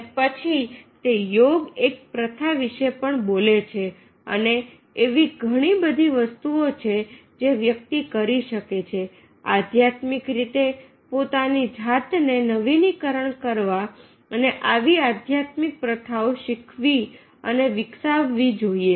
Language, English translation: Gujarati, then it speaks about eh jogit practices and there are many more things that one can do to spiritually renew himself or herself and learning and cultivating such spiritual practices